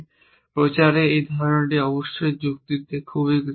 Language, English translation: Bengali, This idea of propagation is of course very common in reasoning